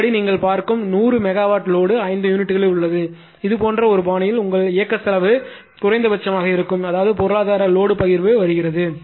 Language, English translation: Tamil, Then according to according to then you have to that 100 megawatt load you see are among the 5 units in such a fashion such that your operating cost will be minimum right, that means, economic load dispatch its coming